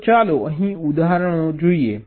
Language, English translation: Gujarati, so let us look at some examples here